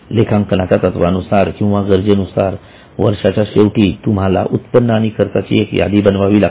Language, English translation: Marathi, So, at the end of the year, as per the accounting norms or as per the accounting requirement, you have to make a list of all incomes and all expense